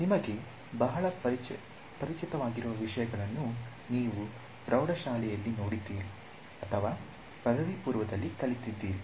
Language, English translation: Kannada, Something which is very familiar to you, you would have seen it in high school, undergrad alright